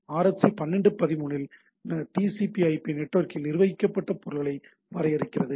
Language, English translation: Tamil, And MIB 2 defined in RFC 1213 defines the managed objects of the TCP/IP network